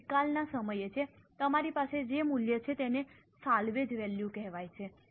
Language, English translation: Gujarati, This is at the time of disposal what value you have is called as a salvage value